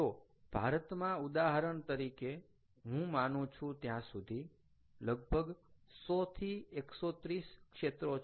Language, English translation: Gujarati, so india, for example, i think, has hundred to one thirty sectors